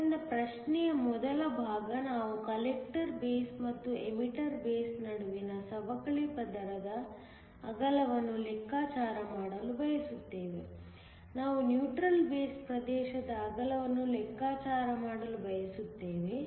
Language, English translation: Kannada, So, the first part of the question, we want to calculate the depletion layer width between the collector base and the emitter base; we also want to calculate the width of the neutral base region